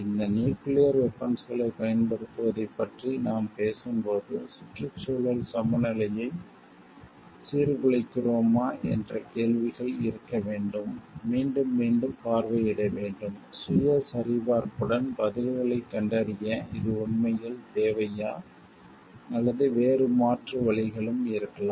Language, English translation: Tamil, Are we disturbing the ecological balance while we are talking of using these nuclear weapons should be questions, which should be visited revisited again and again, with a self check to find out answers like to is this really required, or there could be other alternatives also